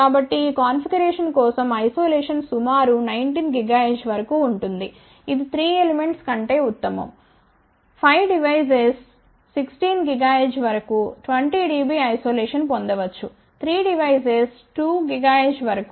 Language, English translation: Telugu, So, isolation for this configuration is better than 3 elements up to about 19 gigahertz , one can obtain about 20 dB isolation up to 16 gigahertz, for 5 devices up to about 12 gigahertz for 3 devices